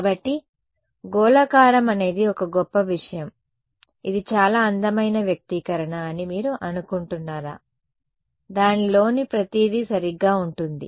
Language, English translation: Telugu, So, spherical is a best thing do you think it will be a very beautiful expression right it's going to have everything in it right